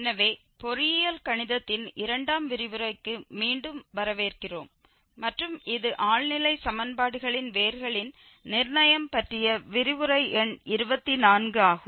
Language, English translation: Tamil, So, welcome back to lectures on Engineering Mathematics II and this is lecture number 24 on Determination of Roots of Algebraic and Transcendental Equations